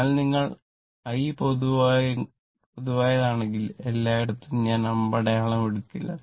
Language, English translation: Malayalam, So, if you take I common, so everywhere I will not take I arrow